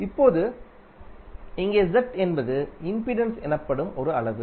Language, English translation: Tamil, Now here Z is a quantity which is called impedance